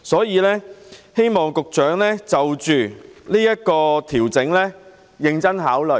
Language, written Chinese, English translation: Cantonese, 我希望局長應就這個調整認真考慮。, I hope the Secretary could give serious consideration to such an adjustment